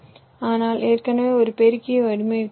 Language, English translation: Tamil, but already you have design, a multiplier